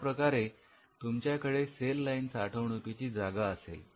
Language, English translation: Marathi, So, you will have cell line storage